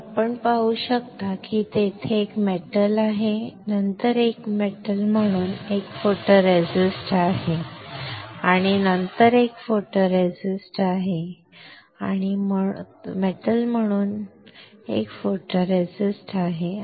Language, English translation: Marathi, And this you can see there is a metal, then there is a photoresist as a metal and then there is a photoresist, and as a metal there is a photoresist